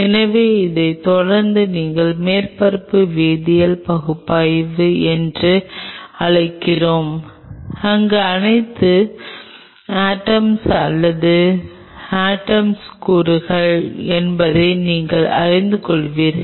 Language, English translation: Tamil, So, that followed by this you can go for what we call as surface chemical analysis, where you will be knowing that which all atoms are or elements of atom